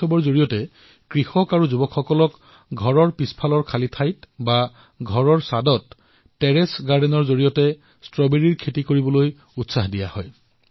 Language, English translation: Assamese, Through this festival, farmers and youth are being encouraged to do gardening and grow strawberries in the vacant spaces behind their home, or in the Terrace Garden